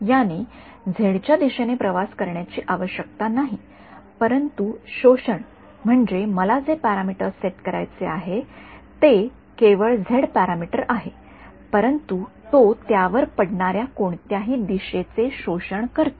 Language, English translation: Marathi, It need not be travelling along the z, but the absorption I mean the parameters that I have to set is only the z parameter, but it's absorbing any direction incident on it